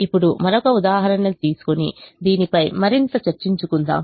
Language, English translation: Telugu, now let us have a further discussion on this by taking another example